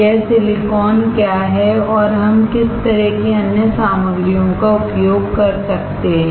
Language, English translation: Hindi, What is this silicon and what kind of other materials we can use